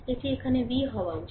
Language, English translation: Bengali, It should be V here